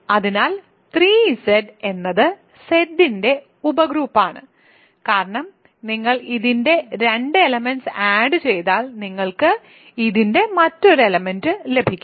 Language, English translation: Malayalam, So, 3 Z is a sub group of Z right, because you can add 2 elements of this you get another element of this